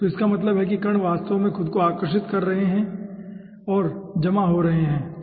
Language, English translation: Hindi, so that means the particles will be actually attracting themselves and forming a coagulation